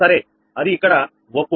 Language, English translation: Telugu, it is same here, right